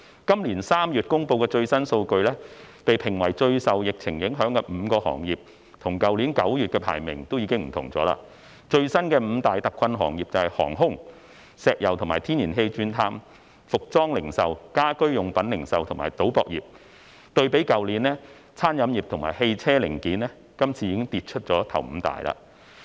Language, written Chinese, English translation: Cantonese, 今年3月公布的最新數據，被評為最受疫情影響的5個行業與去年9月的排名已經不同，最新的五大特困行業為航空、石油及天然氣鑽探、服裝零售、家居用品零售，以及賭博業，對比去年，餐飲業及汽車零件今次已跌出首五大。, According to the latest statistics released in March this year the top five industries most impacted by the epidemic are already different from those in September last year . The latest top five hard - hit industries are airlines oil and gas drilling apparel retail home furnishing retail and casino and gaming . The restaurants and auto parts and equipment industries have dropped out of the top five